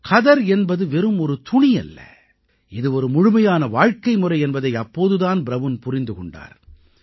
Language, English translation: Tamil, It was then, that Brown realised that khadi was not just a cloth; it was a complete way of life